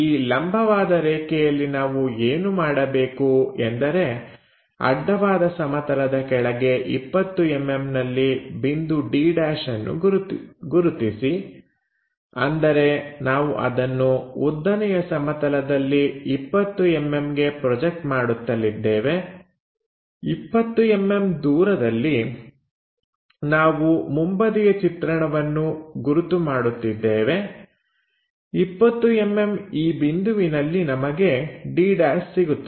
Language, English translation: Kannada, On this perpendicular line what we have to do point d is 20 mm below horizontal plane; that means, if we are projecting that 20 mm onto vertical plane at a 20 mm distance we will mark this front view